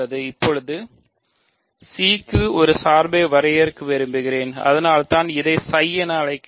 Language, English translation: Tamil, So now, I want to define a map to C that is why I call it psi